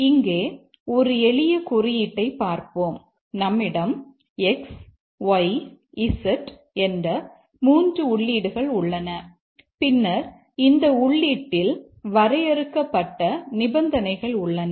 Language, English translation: Tamil, Let's look at this code here, a simple code here and we have some three inputs, x, y, z, and then we have caused, we have conditions defined on this input